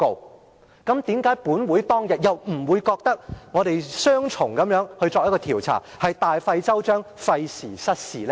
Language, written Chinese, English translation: Cantonese, 為甚麼當天本會並不認為我們作雙重調查，是大費周章，費時失事呢？, Why did we not say that this was duplication of efforts unnecessary ado and a waste of time?